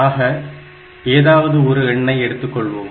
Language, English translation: Tamil, So, we will take an example